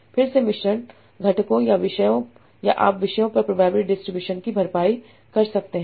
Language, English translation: Hindi, Again mixture components of topics or you can also say probability distribution over the topics